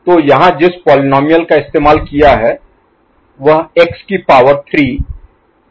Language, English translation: Hindi, So, the polynomial here used is x to the power 3 plus x plus 1, right